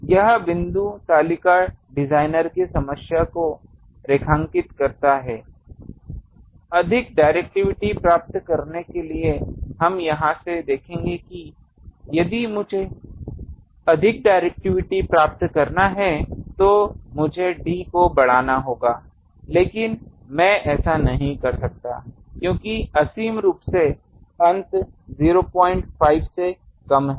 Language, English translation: Hindi, Point is this table underscores the designer’s problem that to get more directivity we will see from here that if I want to have more directivity, I need to increase d but I cannot do it, infinitely my end is less than 0